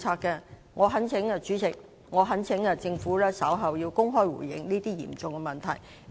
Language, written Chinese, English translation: Cantonese, 代理主席，我懇請局長稍後公開回應這些嚴重的問題。, Deputy Chairman I implore the Secretary to respond to these serious problems in public shortly